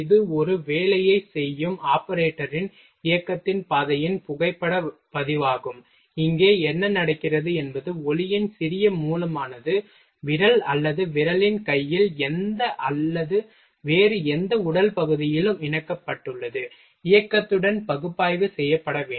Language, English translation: Tamil, It is a photographic record of the path of the movement of the operator doing a job, here what happens little source of light is attached to the hand of finger or finger any or any other body part, with motion are to be analysed